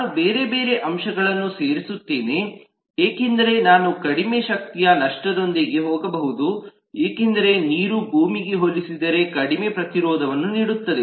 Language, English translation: Kannada, i will add different other factors, like i can possibly go with much less loss of power because water provides far less resistance than land